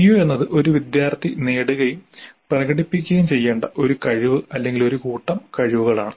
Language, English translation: Malayalam, CO is essentially a competency or a set of competencies that a student is supposed to acquire and demonstrate